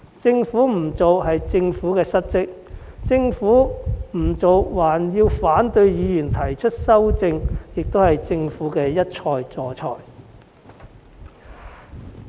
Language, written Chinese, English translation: Cantonese, 政府不做是失職，而政府不做還要反對議員提出修正案更是一錯再錯。, While the refusal to add the holiday is a dereliction of duty on the part of the Government it made another mistake by opposing the amendments proposed by Members